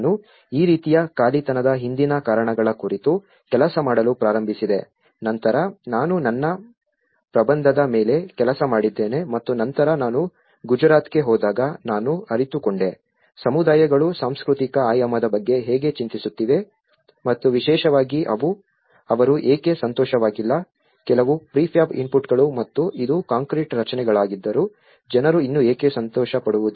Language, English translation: Kannada, I started working on the reasons behind these kind of unoccupancy, then, later on I worked on my thesis and then I realized when I went to Gujarat I realized how the communities are worried about the cultural dimension and especially, why they are not happy with certain prefab inputs and though it is concrete structures, why still people would not happy